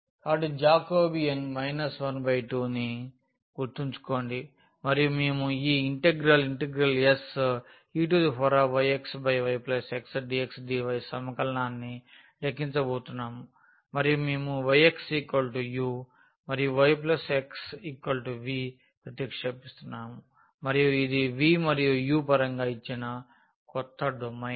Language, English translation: Telugu, So, remember the Jacobean was minus half and we are going to compute this integral e power minus y minus x over y plus x dx dy, and our substitution was y minus x was u and y plus x was v and this is the new domain given in terms of v and u